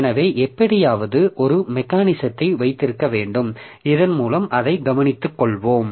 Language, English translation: Tamil, So, so somehow the, we have to have a mechanism by which we will be taking care of that